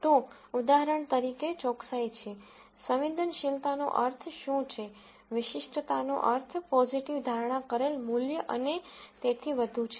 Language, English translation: Gujarati, So, for example, there is accuracy, what does sensitivity means, specificity means positive predictive value and so on mean